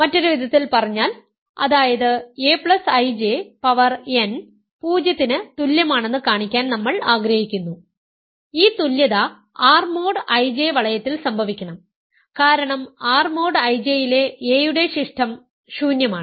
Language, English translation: Malayalam, In other words, that is, we want to show a plus I J power n is equal to 0 for some n right, this equality must happen in the ring R mod I J right because residue of a in R mod I J is nilpotent